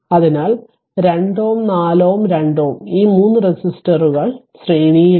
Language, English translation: Malayalam, So, 2 ohm 4 ohm and 2 ohm this 3 resistors are in series